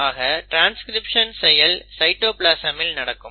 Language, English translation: Tamil, The translation is also happening in the cytoplasm